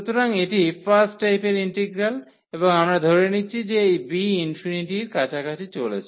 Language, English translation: Bengali, So, this is the integral of first kind and we assume here that this b is approaching to infinity